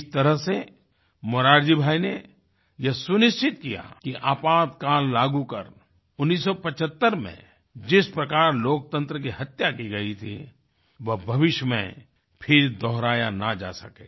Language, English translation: Hindi, In this way, Morarji Bhai ensured that the way democracy was assassinated in 1975 by imposition of emergency, could never be repeated againin the future